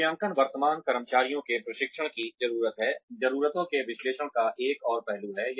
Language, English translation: Hindi, Assessing, current employees training needs, is another aspect of needs analysis